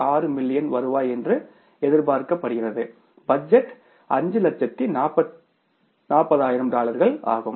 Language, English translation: Tamil, 6 million revenue that expected was budgeted was $540,000 but actually it is $396,000